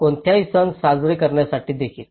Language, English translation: Marathi, Even to celebrate any festivals